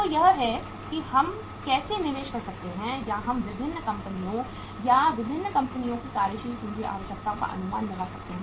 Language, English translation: Hindi, So this is how we can invest the or we can estimate the working capital requirements of the different firms or different companies